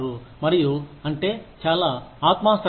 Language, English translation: Telugu, And, that is very subjective